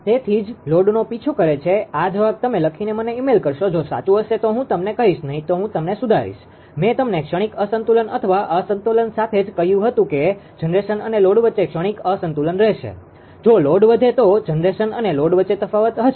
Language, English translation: Gujarati, So, that is why chases the load with the these answer, you will write and send, it to me email if it is correct I tell you, otherwise, I will correct you, right ah with the transient ah unbalance or imbalance occurs between the I told you between the generation and the load there will be a transient imbalance, if the load increase then it is change in load between generation that will be difference between generation and load right